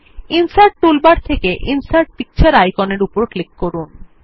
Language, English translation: Bengali, From the Insert toolbar,click on the Insert Picture icon